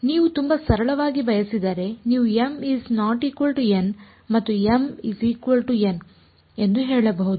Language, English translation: Kannada, If you wanted very simply you can say m equal not equal to n and m equal to n